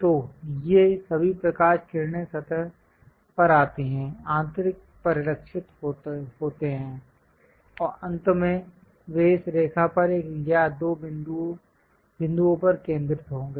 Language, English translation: Hindi, So, all these light rays come hit the surface; internal reflections happens; finally, they will be focused at one or two points on this line